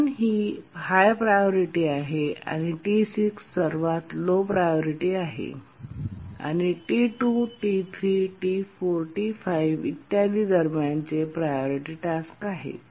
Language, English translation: Marathi, T1 is the highest priority and T6 is the lowest priority and T2, T3, T4, T 5 etc